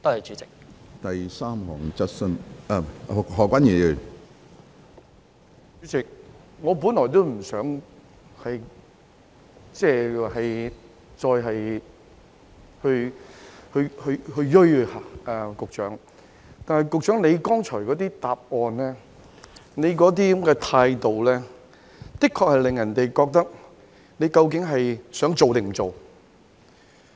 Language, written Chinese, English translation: Cantonese, 主席，我本來不想再錐着局長，但局長剛才的答覆和態度，的確令人覺得他究竟是想做還是不想做。, President I do not intend to keep nagging the Secretary in the first place yet the earlier reply and attitude of the Secretary have really made us query whether or not he is willing to do it